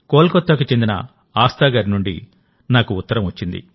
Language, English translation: Telugu, I have received a letter from Aasthaji from Kolkata